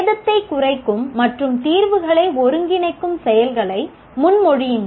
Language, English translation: Tamil, Propose the actions that minimize damage and synthesize solutions